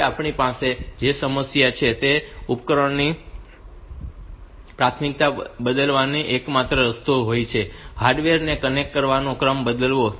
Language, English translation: Gujarati, Now, the problem that we have is that the only way to change the priority of the devices is to change the order of connecting the hardware